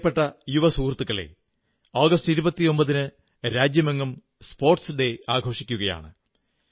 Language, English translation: Malayalam, My dear young friends, the country celebrates National Sports Day on the 29th of August